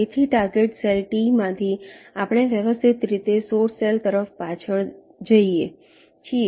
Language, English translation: Gujarati, so from the target cell t, we systematically backtrack towards the source cell